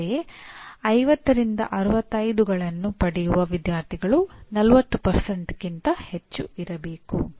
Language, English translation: Kannada, Similarly, students getting between 50 and 65 marks should be more than 40%